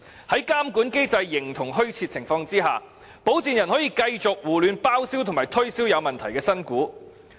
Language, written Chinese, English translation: Cantonese, 在監管機制形同虛設的情況下，保薦人可以繼續胡亂包銷及推銷有問題的新股。, Since the regulatory regime exists in name only sponsors may continue to recklessly underwrite and subscribe for new shares that have suitability concerns